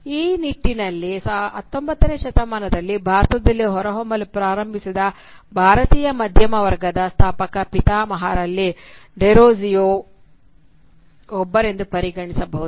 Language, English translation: Kannada, In that regard, Derozio can be regarded as one of the founding fathers of the Indian middle class which started emerging in India during the 19th century